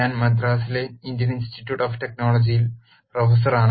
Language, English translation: Malayalam, I am a professor in the Indian Institute of Technology at Madras